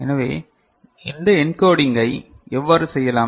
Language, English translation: Tamil, So, how we can get this encoding done